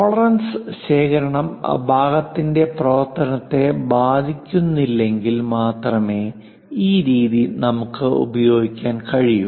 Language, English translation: Malayalam, This method we can use it only if tolerance accumulation is not going to affect the function of the part